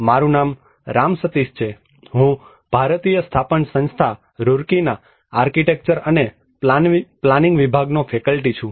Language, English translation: Gujarati, My name is Ram Sateesh, I am a faculty from department of architecture and planning, Indian Institute of Technology Roorkee